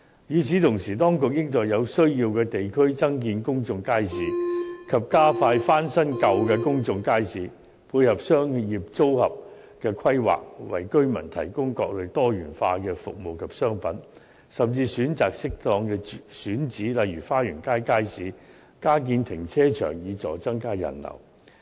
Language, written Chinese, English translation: Cantonese, 與此同時，當局應在有需要的地區增建公眾街市，以及加快翻新舊的公眾街市，配合商業組合的規劃，為居民提供各類多元化的服務及商品，甚至選擇適當的選址加建停車場，以助增加人流。, In the meanwhile the authorities should construct more public markets in districts with such a need and expedite the renovation of old public markets in line with the trade - mix planning thereby providing residents with all types of diversified services and commodities . It should even select suitable sites for example Fa Yuen Street Market for building additional car parks so as to boost the visitor flow